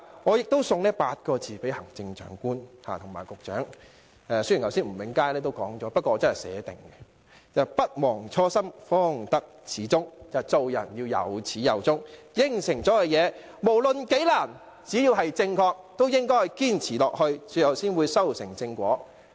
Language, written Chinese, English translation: Cantonese, 我亦想送8個字給行政長官及局長——雖然吳永嘉議員剛才已說了，但我已預先寫了——是"不忘初心，方得始終"，做人要有始有終，已作出的承諾，無論有多困難，只要正確，都應堅持下去，最後才會修成正果。, I also wish to tender a piece of advice to the Chief Executive and the Secretary―although Mr Jimmy NG already said this earlier on I had written it down in advance―that is the very beginning mind itself is the most accomplished mind of true enlightenment . One should carry through to the end what he vows to do at the beginning . With regard to the promises made one should persevere no matter how difficult it is as long as the promises are correct in order to achieve a fruitful outcome in the end